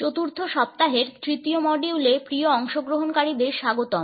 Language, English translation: Bengali, Welcome dear participants to the 3rd Module of the fourth week